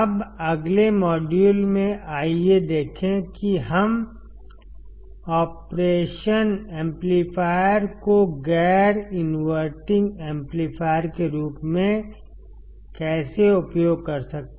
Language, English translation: Hindi, Now, in the next module; let us see how we can use operation amplifier as the non inverting amplifier